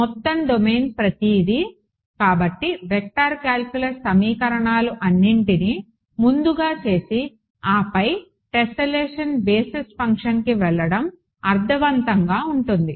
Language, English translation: Telugu, Whole domain everything so, it makes sense to do all of the vector calculus simplifications first and then go to tessellation basis function and so on